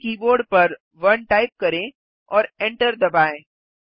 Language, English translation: Hindi, Type 1 on your key board and hit the enter key